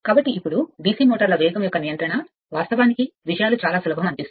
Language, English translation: Telugu, So now, speed control of DC motors, you find things are quite simple